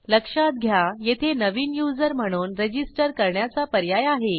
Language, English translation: Marathi, Notice, we also have an option to register as a new user